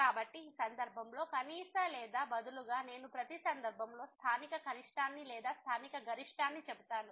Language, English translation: Telugu, So, in this case the minimum or rather I would say the local minimum in each case or local maximum